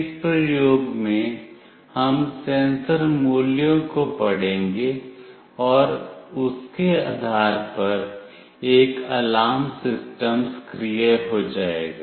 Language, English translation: Hindi, In this experiment, we will read the sensor values and depending on that an alarm system will be activated